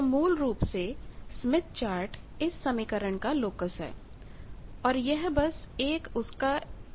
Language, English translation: Hindi, So basically, smith chart is a locus of this equation and this is basically a transformation